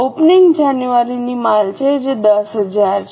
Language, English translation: Gujarati, Opening is a January inventory which is 10,000